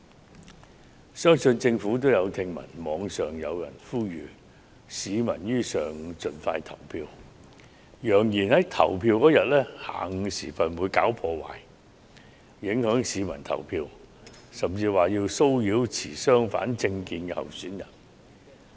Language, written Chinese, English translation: Cantonese, 我相信政府亦已聽聞，網上有人呼籲選民於投票當日上午盡快投票，並揚言會在當天的下午時分"搞破壞"，阻礙市民投票，甚至騷擾持相反政見的候選人。, I believe the Government is already aware of an online appeal which urges people to cast their votes in the morning of the polling day and threatens that they will stir up troubles in the afternoon to stop people from going to vote or harass their opposing candidates